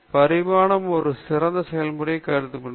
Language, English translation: Tamil, Evolution can be treated as an optimizing process